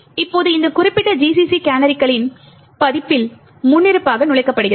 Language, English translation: Tamil, Now in this particular version of GCC that I have used for compiling canaries are inserted by default